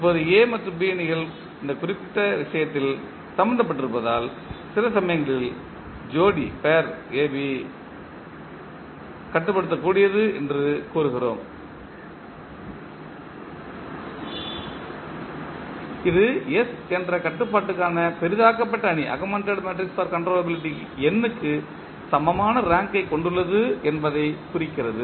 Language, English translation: Tamil, Now, since the matrices A and B are involved in this particular case, sometimes we also say that pair AB is controllable which implies that the S that is augmented matrix for controllability has the rank equal to n